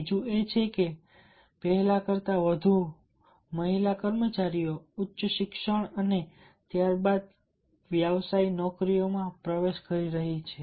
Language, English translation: Gujarati, second is that the more female employees are entering into higher education and subsequently into professional jobs then never before